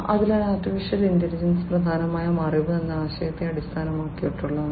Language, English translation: Malayalam, So, AI is heavily based on the concept of knowledge